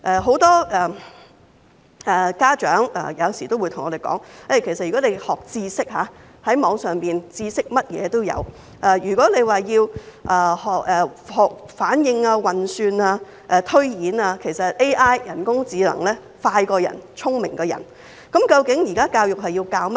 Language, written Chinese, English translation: Cantonese, 很多家長有時候會對我們說，如果要學習知識，網上甚麼知識都有；如果要學習反應、運算、推演，其實人工智能比人類更快、更聰明。, Many parents sometimes tell us that whatever knowledge is available on the Internet for us to acquire if we wish to . When it comes to learning about reaction calculation and projection artificial intelligence AI is actually faster and smarter than humans